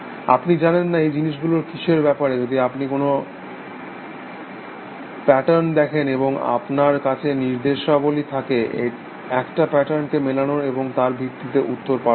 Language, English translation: Bengali, You do not know, what that thing is about, you see some patterns, and you have an instructed, to loop match a pattern, and send out a response based on that